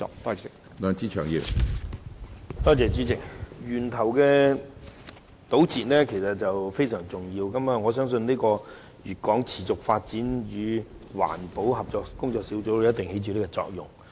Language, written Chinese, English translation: Cantonese, 主席，從源頭堵截的工作實在非常重要，我相信粵港持續發展與環保合作工作小組一定會在這方面起作用。, President it is very important to tackle the problem at source and I am sure that the Working Group will have a role to play in this regard